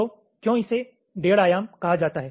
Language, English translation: Hindi, so why it is called one and a half dimension